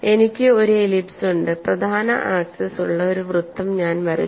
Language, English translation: Malayalam, In the above diagram I have an ellipse and I have drawn a circle with the major axis and also drawn a circle with the minor axis